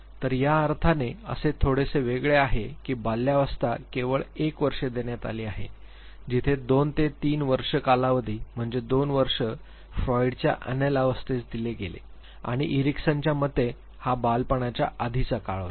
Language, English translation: Marathi, So, there is little separation here in a sense that infancy has been given only one year where as 2 to 3 years the 2 is the year of longer period has been given to the anal stage of Freud and according to Erickson this is the early childhood period